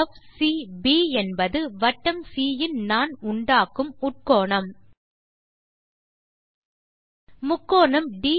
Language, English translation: Tamil, ∠FCB is the inscribed angle by the chord to the circle c